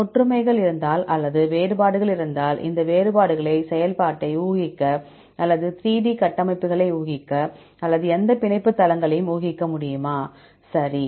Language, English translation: Tamil, If there are similarities or if there are differences, whether we are able to use these differences to infer the function, or to infer the 3D structures, or to infer any binding sites and so on, right